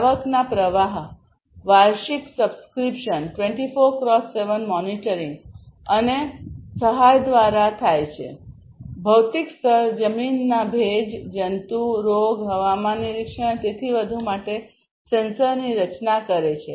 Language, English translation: Gujarati, The revenue streams are through yearly subscriptions 24X7 monitoring and assistance; the physical layer constitutes of sensors for soil moisture, insect, disease, climate monitoring and so on